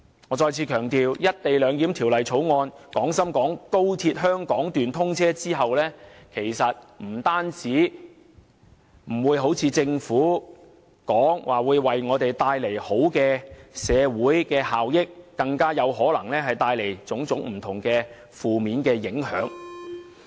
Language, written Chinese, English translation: Cantonese, 我再次強調，在廣深港高鐵香港段通車後，不單不會如政府所說為香港帶來好的社會效益，更可能會帶來種種不同的負面影響。, I would like to stress again that after the commissioning of the Hong Kong Section of XRL instead of bringing about positive social benefits for Hong Kong just as the Government has claimed it will only bring all sorts of negative impacts